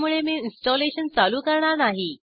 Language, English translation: Marathi, Hence I will not proceed with the installation